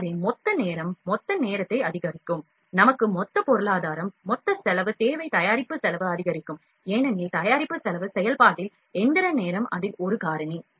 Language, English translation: Tamil, So, the total time would increase total time, we need total economy, total cost of the product will also increase, because in product cost function the machining time is one of it is factor